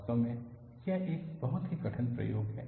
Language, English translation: Hindi, In fact, it is a very difficult experiment